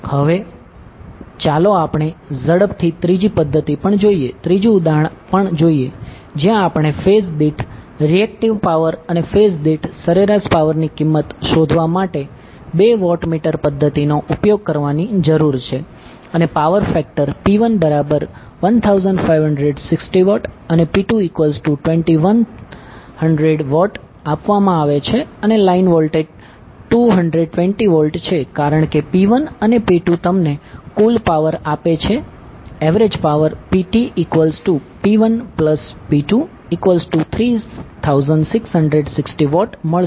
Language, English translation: Gujarati, Now, let us see quickly the third method also, third example also where we need to use the two watt meter method to find the value of per phase average power, per phase reactive power and the power factor P 1 and P 2 is given and the line voltages T 220 volt